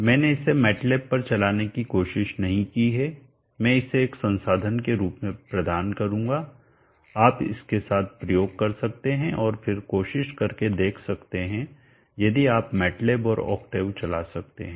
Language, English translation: Hindi, I even tried running it on matlab, I will provide this as a resource you can experiment with it and then try to see if you run in matlab and octave